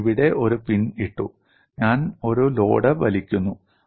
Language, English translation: Malayalam, I have put a pin here and I am pulling a load